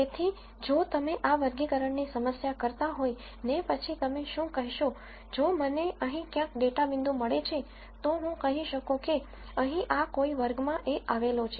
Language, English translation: Gujarati, So, if you were to do this classification problem, then what you could say is if I get a data point somewhere here, I could say it belongs to whatever this class is here